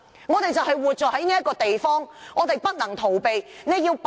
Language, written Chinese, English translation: Cantonese, 我們活在這個地方，便不能逃避。, There is no escape for us because this is the place we live in